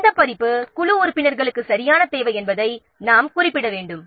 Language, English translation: Tamil, So which version exactly the team member needs that also have to specify